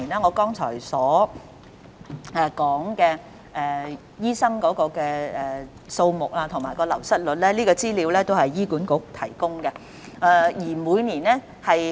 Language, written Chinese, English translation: Cantonese, 我剛才所說有關醫生的數字和流失率均由醫管局提供。, Both the figures and attrition rate about doctors that I mentioned are provided by HA